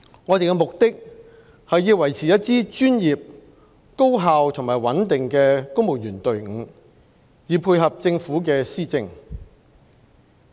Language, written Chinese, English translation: Cantonese, 我們的目的是要維持一支專業、高效和穩定的公務員隊伍，以配合政府的施政。, Our aim is to maintain a professional efficient and stable civil service to facilitate policy implementation by the Government